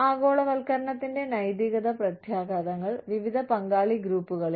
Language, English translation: Malayalam, Ethical impacts of globalization, on different stakeholder groups